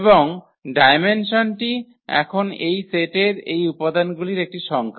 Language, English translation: Bengali, And the dimension now it is a number of these elements in this set